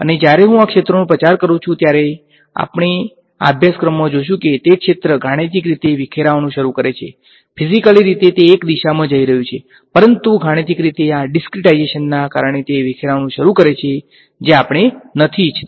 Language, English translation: Gujarati, And when I propagate this field, we will see in this course that that field begins to mathematically disperse,; physically its going in one direction, but mathematically because of this discretization it begins to disperse which we do not want